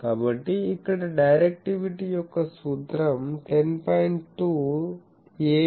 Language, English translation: Telugu, So, here the formula for directivity is 10